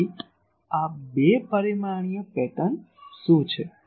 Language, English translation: Gujarati, So, what is the two dimensional pattern